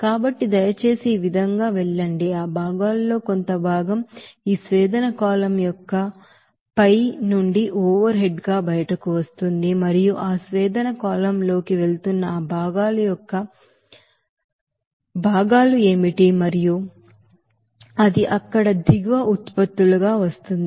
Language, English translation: Telugu, So please go through this what will be that, you know fraction of that components it is coming out from the top of this distillation column as overhead and what would be the fractions of that components that is going into that distillation column and it is coming as bottom products there